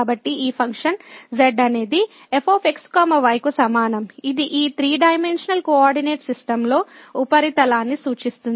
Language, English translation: Telugu, So, this is the function is equal to which represents the surface in this 3 dimensional coordinate system